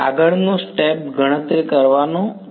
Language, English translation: Gujarati, Next step would be to calculate